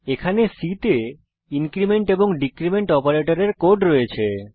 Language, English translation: Bengali, Here, we have the code for increment and decrement operators in C